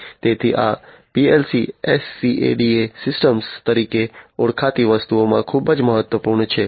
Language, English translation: Gujarati, So, these PLC’s are very important in something known as the SCADA, SCADA systems, right